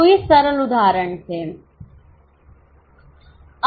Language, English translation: Hindi, So, these were the simple illustrations